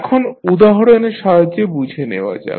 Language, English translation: Bengali, Now, let us understand with the help of the example